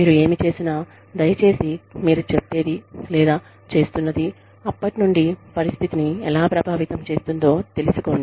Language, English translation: Telugu, Whatever you do, please find out, how, whatever you are saying, or doing, is likely to impact the situation, from then on